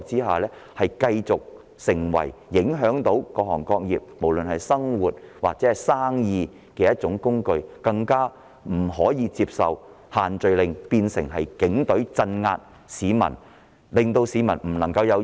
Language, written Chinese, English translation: Cantonese, 限聚令只會成為影響各行各業、市民生活或營商的措施，而我們更不能接受限聚令變成警隊鎮壓市民，令市民不能自由表達意見的工具。, The social gathering restrictions will only become measures that affect the operation of different trades and industries the daily life of common people or business operations in Hong Kong . It is even more unacceptable to us that the restrictions have become a tool used by the Police to suppress the people and prevent them from expressing their views freely